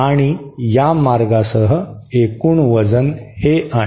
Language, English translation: Marathi, And along this path, the total weight is this